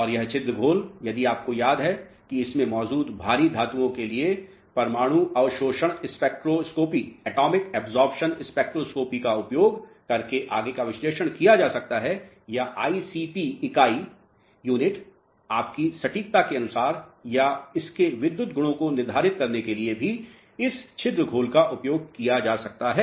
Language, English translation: Hindi, And this pore solution if you remember can be analyzed further by using atomic absorption spectroscopy for the heavy metals which are present in it or ICP unit depending upon the accuracy you require or this pore solution can also be utilized for determining its electrical property clear